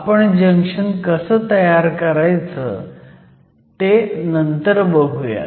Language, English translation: Marathi, We will worry later, how these junctions are actually formed